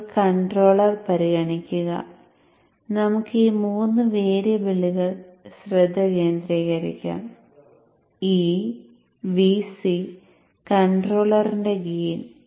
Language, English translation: Malayalam, Now consider the controller and let us focus on these three variables, E, VC, and the gain of the controller